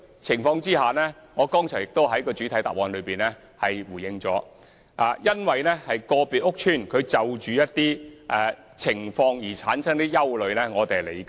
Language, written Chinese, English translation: Cantonese, 正如我剛才已在主體答覆中回應，市民因個別屋邨的某些情況產生憂慮，我們能理解。, As I said earlier in the main reply we understand that some members of the public may be worried about the conditions of a particular estate